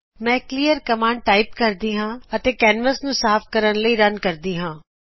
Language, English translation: Punjabi, Let me typeclearcommand and run to clean the canvas